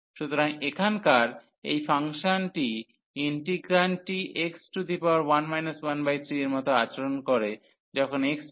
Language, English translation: Bengali, So, this function here the integrand behaves as x power 1 minus 1 by 3 when x approaches to infinity